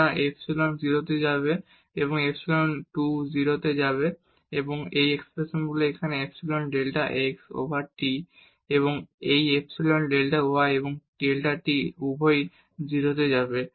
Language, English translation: Bengali, So, this epsilon will go to 0 and this epsilon 2 will go to 0 and then these expressions here epsilon delta x over delta t and this epsilon delta y over delta t they both will go to 0